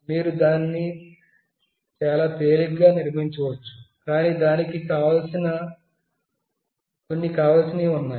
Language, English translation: Telugu, You can build it very easily, but there are certain requirements